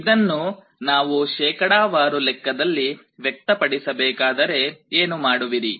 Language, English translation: Kannada, If we want to express it as a percentage, what do you do